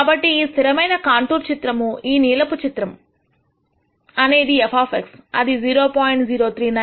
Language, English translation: Telugu, So, the constant contour plot, this blue plot, is the plot at which f of X will take a value 0